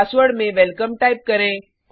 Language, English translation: Hindi, Type the password as welcome